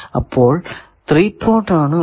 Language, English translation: Malayalam, So, at least 3 ports are required